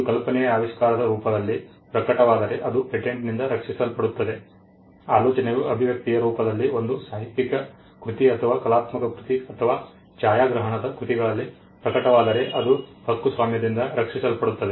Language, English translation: Kannada, If an idea manifests itself in the form of an invention then that is protected by a patent, if the idea manifest itself in the form of an expression a literary work or an artistic work or a cinematographic work then that is protected by a copyright